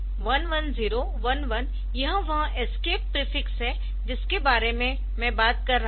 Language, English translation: Hindi, So, 1011 this is that escape prefix that I was talking about